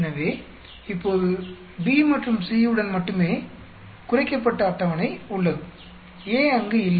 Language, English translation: Tamil, So, now, we have a reduced table with only B and C, A is not there